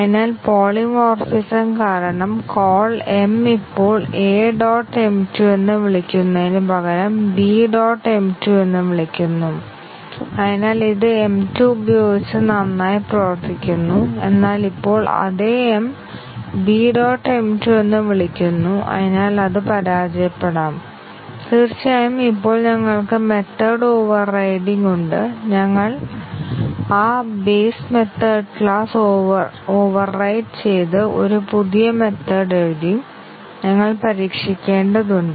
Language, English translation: Malayalam, It was tested now for class B object when we call m, it is class called in the context of class B and therefore, due to polymorphism the call m will now, call B dot m 2 rather than calling A dot m 2 and therefore, it was working well with m 2, but now on the same m is calling B dot m 2 and therefore, it may fail and of course, when we have method overriding we have written a new method overriding a base class method obviously, we need to test